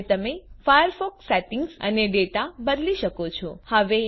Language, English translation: Gujarati, You can now modify the firefox settings and data